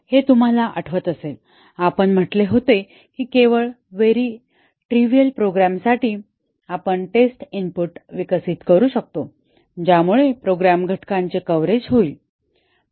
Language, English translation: Marathi, This, if you remember we had said that only for very trivial program, we can develop the test inputs that will cause the coverage of the program elements